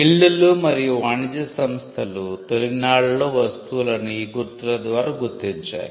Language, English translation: Telugu, Now, Guilds and trade organizations in the earliest times identified goods by marks as a means of liability